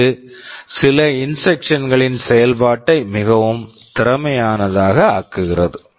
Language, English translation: Tamil, This makes the implementation of some of the instructions very efficient